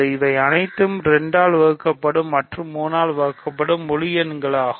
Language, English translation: Tamil, So, this is all integers which are divisible by 2 and divisible by 3